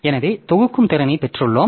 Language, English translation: Tamil, So, we have got the grouping capability